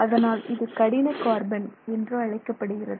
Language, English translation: Tamil, So, this is the hard carbon